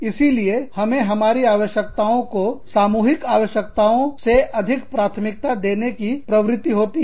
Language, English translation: Hindi, So, we tend to prioritize our needs, ahead of the common needs